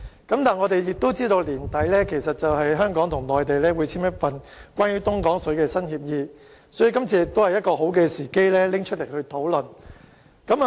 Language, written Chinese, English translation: Cantonese, 但是，我們知道本年年底，香港和內地會簽署一份關於東江水的新協議，所以，這次亦是好時機討論相關議題。, However as we know that a new agreement on the purchase of Dongjiang water will be signed between Hong Kong and the Mainland by the end of this year it is opportune to bring up the relevant issues for discussion